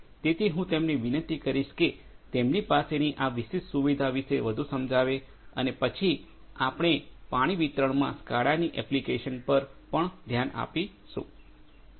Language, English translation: Gujarati, So, I would request them to explain more about this particular facility that they have and then, we will also look at the applications of SCADA in water distribution